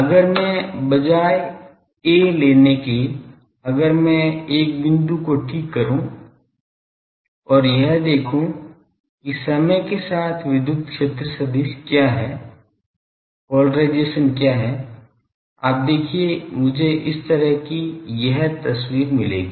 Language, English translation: Hindi, , Now, instead if I take a; if I fix a point and go on see that what is the polarisation what is the electric field vector as time progresses; you see I will get a picture like this